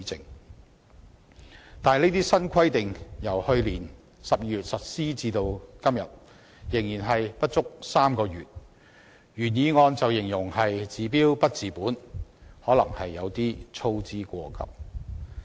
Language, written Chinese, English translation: Cantonese, 可是，這些新規定自去年12月實施至今不足3個月，原議案便把它形容為"治標不治本"，可能是有些操之過急。, Although it has been less than three months since the implementation of these new requirements in December last year they are described in the original motion probably with undue haste as being able to only treat the symptoms but not the root cause of the problem